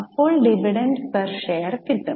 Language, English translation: Malayalam, So, get the equity dividend